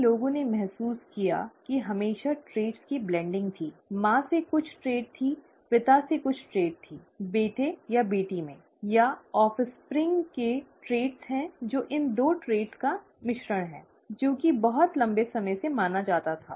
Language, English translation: Hindi, Many felt that there was always a blending of traits; there was some trait from the mother, some trait of the father, the son or the daughter has, or the offspring has the traits that are a blend of these two traits, that was what was believed for a very long time